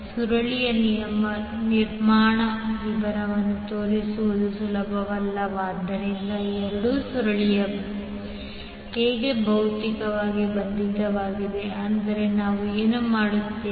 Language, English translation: Kannada, Now since it is not easy to show the construction detail of the coil that means how both of the coil are physically bound, what we do